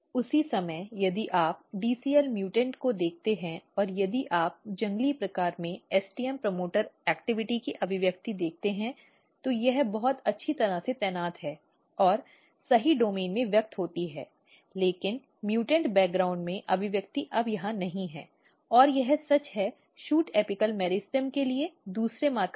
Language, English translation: Hindi, At the same time if you look the dcl mutant and if you look the expression of STM promoter activity in wild type, it is very nicely positioned and express in the right domain, but in mutant background the expression is no longer here and this is true for another marker for shoot apical meristem